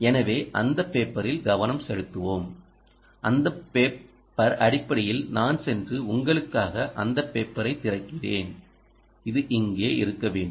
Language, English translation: Tamil, so lets focus on that paper, and that paper ah is essentially i will go and open that paper for you which should is here, right